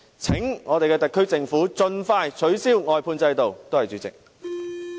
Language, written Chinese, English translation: Cantonese, 請我們的特區政府盡快取消外判制度，多謝主席。, Will our SAR Government please abolish the outsourcing system expeditiously . Thank you President